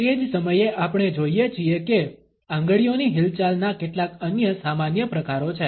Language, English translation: Gujarati, At the same time we find that there are certain other common variations of finger movements